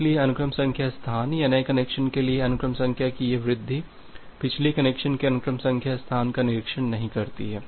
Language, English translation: Hindi, So, that the sequence number space or this increase of the sequence number for the new connection does not overshoot the sequence number space of the previous connection